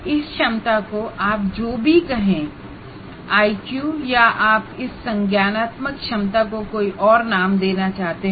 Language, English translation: Hindi, After all, whatever you call IQ or whatever it is, whatever label that you want to give, the cognitive ability